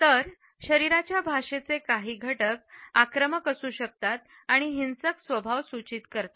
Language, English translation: Marathi, Whereas, some aspects of body language can be aggressive and suggest a violent temper